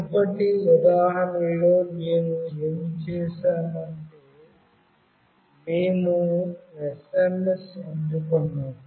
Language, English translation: Telugu, In the previous example what we did we received the SMS